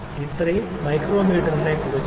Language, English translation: Malayalam, So, this was about the micrometer